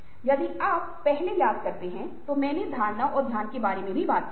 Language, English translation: Hindi, if you remember, earlier i talked about perception and attention